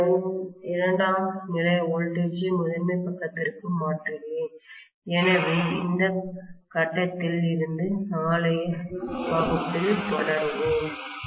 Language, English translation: Tamil, I am transferring over the secondary voltage onto the primary side so we will continue from this point onwards in tomorrow’s class